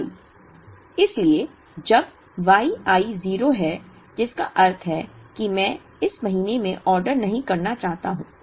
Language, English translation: Hindi, So, when Y i is 0, which means I choose not to order in this month